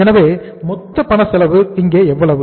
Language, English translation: Tamil, So this is the total cash cost we have calculated